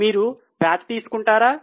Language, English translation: Telugu, Will you take P